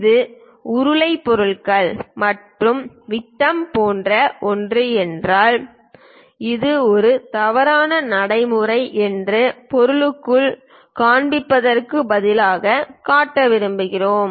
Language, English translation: Tamil, If it is something like cylindrical objects and diameter we would like to show instead of showing within the object this is wrong practice